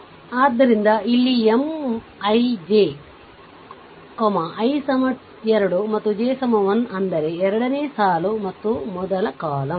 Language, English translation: Kannada, So, here M I j, i is equal to 2 and j is equal to 1 right; that means, you you second row and the first column